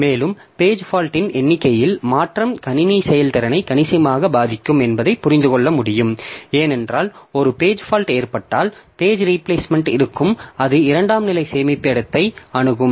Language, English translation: Tamil, And as you can understand that change in the number of page fault can affect system throughput significantly because as when a page fault occurs then there will be page replacement, it will be accessing the secondary storage and all